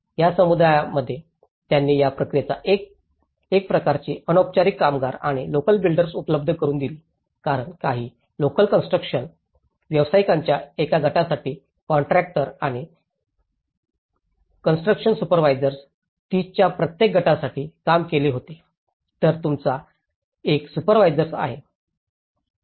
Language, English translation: Marathi, The communities they also provided some kind of informal the unskilled labour at this process and the local builders because for a group of the some of the local builders were hired by the contractors and the construction supervisors for every group of 30 so, you have one supervisor who is looking at it